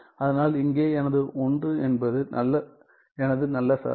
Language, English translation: Tamil, So, here my 1 is my good function right